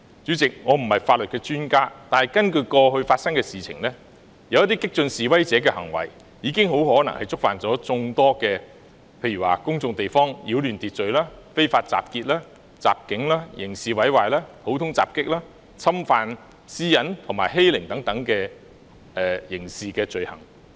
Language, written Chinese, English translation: Cantonese, 主席，我不是法律專家，但觀乎過去發生的事情，有些激進示威者的行為很可能已觸犯在公眾地方擾亂秩序、非法集結、襲警、刑事毀壞、普通襲擊、侵犯私隱、欺凌等刑事罪行。, President I am not an expert on law . However in view of what has happened some radical protesters may have already committed such criminal offences as behaving in a disorderly manner in a public place unlawful assembly assault on police officers criminal damage common assault intrusion on privacy and bullying